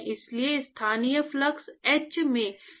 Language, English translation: Hindi, So, therefore, the local flux h into Ts minus